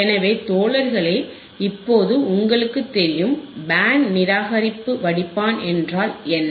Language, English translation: Tamil, So, guys now you know, what are the band reject filters